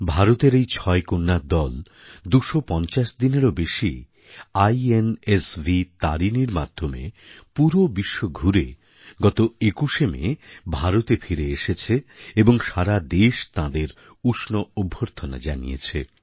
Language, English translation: Bengali, These six illustrious daughters of India circumnavigated the globe for over more than 250 days on board the INSV Tarini, returning home on the 21st of May